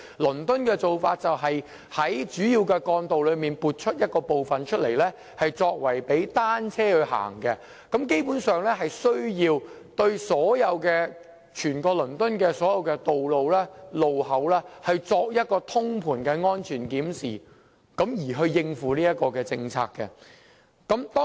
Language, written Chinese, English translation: Cantonese, 倫敦的做法是在主要幹道撥出一部分範圍供單車使用，基本上，當局有需要為此對整個倫敦的所有道路和路口進行通盤的安全檢視，藉以配合這項政策。, The approach adopted in London is to designate certain sections of major trunk roads as cycle lanes . Basically the authorities have to examine all the roads and intersections in London from the safety perspective and in a holistic manner to support the policy